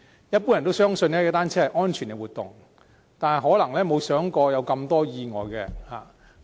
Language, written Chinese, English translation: Cantonese, 一般人相信，踏單車是安全的活動，但可能沒有想過會發生這麼多意外。, It is generally believed that cycling is a safe activity . But they may not realize that so many accidents have occurred